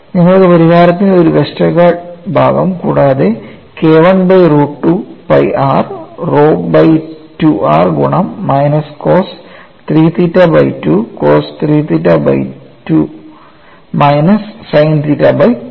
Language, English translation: Malayalam, You had this Westergaard part of the solution plus you have K 1 by root of 2 pi r rho by 2 r multiplied by minus cos 3 theta by two cos 3 theta by 2 minus sin 3 theta by 2